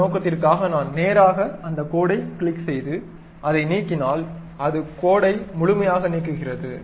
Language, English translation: Tamil, For that purpose, if I just straight away click that line, delete it, it deletes complete line